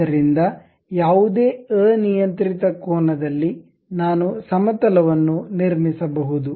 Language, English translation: Kannada, So, at any arbitrary angle, I can really construct a plane